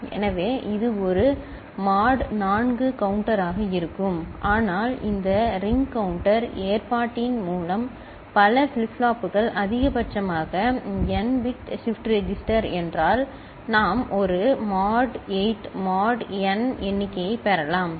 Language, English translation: Tamil, So, it will be a mod 4 counter right, but with this ring counter arrangement as many number of flip flops if it is n bit shift register maximum, we can get a mod 8 – mod n count, ok